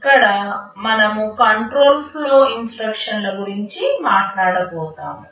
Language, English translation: Telugu, Here we shall be talking about the control flow instructions